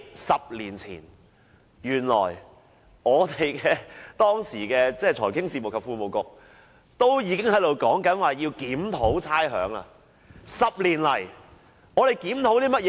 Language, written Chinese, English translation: Cantonese, 十年前，時任財經事務及庫務局局長已經表示要檢討差餉寬減措施。, Ten years ago the then Secretary for Financial Services and the Treasury indicated that it was necessary to review the rates concession measure